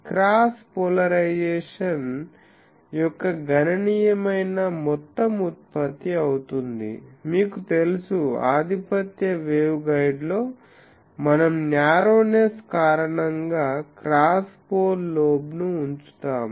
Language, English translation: Telugu, So, there will be sizable amount of cross polarization generated, you know this that in a dominant waveguide we keep the because of the narrowness of the things we keep the cross pole lobe